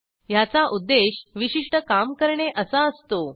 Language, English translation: Marathi, * It is intended to do a specific task